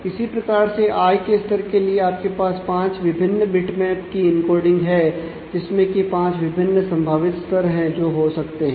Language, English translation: Hindi, Similarly, for the income levels you have 5 different bitmaps encoding; the 5 different possible levels in the income that you can have